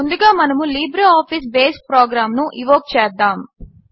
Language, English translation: Telugu, Let us first invoke the LibreOffice Base program